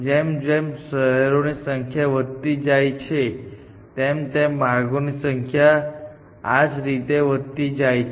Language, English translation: Gujarati, As the number of cities increased, the number of paths increases quite dramatically